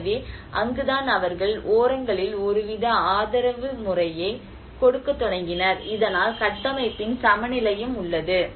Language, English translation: Tamil, So, that is where they started giving some kind of support system at the edges so that there is a you know the balance of the structure as well